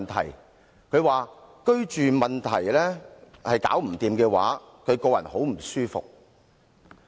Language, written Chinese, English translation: Cantonese, 她說，若居住問題無法解決，她個人感到很不舒服。, She also said that if the housing problem could not be solved she would be very upset